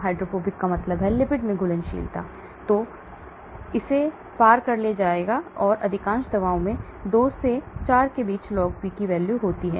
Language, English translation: Hindi, Hydrophobic means soluble in the lipid and it gets transported across, and most of the drugs have log P between 2 to 4